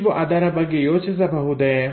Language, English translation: Kannada, Can you think about it